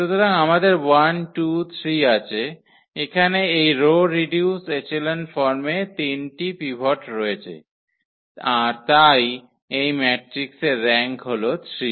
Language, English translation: Bengali, So, we have 1, 2, 3, there are 3 pivots here in this row reduced echelon form and therefore, the rank of this matrix is 3